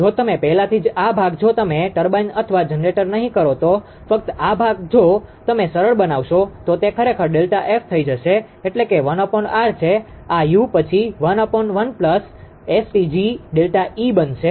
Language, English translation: Gujarati, If you already this portion if you not turbine or generator only this portion if you simplify it will become actually delta F that is one up on R u this u will become plus then 1 upon 1 plus ST g delta E